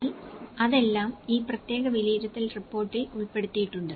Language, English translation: Malayalam, So, that is all been covered in this particular assessment report